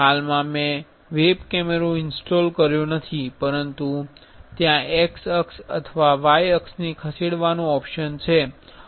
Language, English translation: Gujarati, Currently, I have not installed web camera and there is option to move x axis or y axis